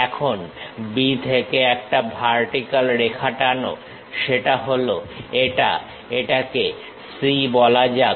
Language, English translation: Bengali, Now from B drop a vertical line, that is this one let us call C